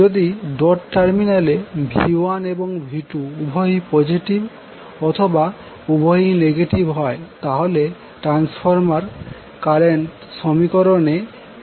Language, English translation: Bengali, So, what are those rules, if V1 and V2 are both positive or both negative at the dotted terminals, we use plus n in the transformer voltage equation